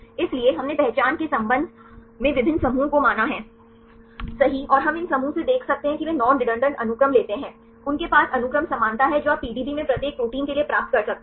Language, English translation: Hindi, So, we clustered various clusters right with respect to the identity and we can see from these clusters they take the non redundant sequences, they have the sequence similarity you can get for each a protein right in the PDB